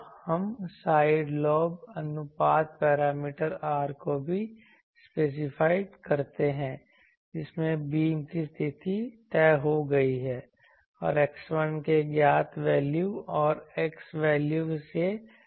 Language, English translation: Hindi, So, we can also specify the side lobe ratio parameter R in which case the beam width is fixed and can be found from the known value of x 1 and the value of x